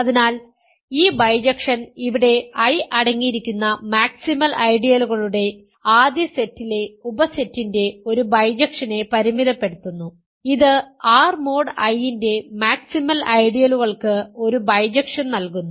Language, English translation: Malayalam, So, this bijection restricts to a bijection of the subset here in this first set of a maximal ideals containing I and it gives a bijection to the maximal ideals of R mod I